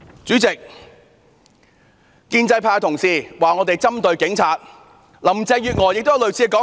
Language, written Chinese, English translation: Cantonese, 主席，建制派同事批評我們針對警察，而林鄭月娥亦有類似說法。, President pro - establishment Members have accused us of criticizing the Police